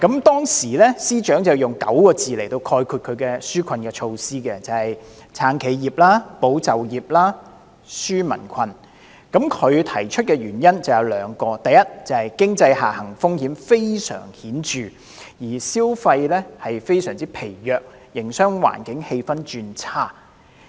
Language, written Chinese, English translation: Cantonese, 當時司長用9個字概括其紓困措施："撐企業、保就業、紓民困"，他提出的原因有兩個，第一是經濟下行風險非常顯著，消費非常疲弱，營商環境氣氛轉差。, Back then the Financial Secretary summed up the purpose of the relief measure in the following nine words of supporting enterprises safeguarding jobs and relieving peoples financial burden . His introduction of this proposal is based on two reasons . Firstly the conspicuous downside risks of the economy are evidenced by the weak consumer market and the worsening business environment